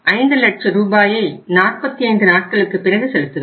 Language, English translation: Tamil, 5 lakh rupees for how much period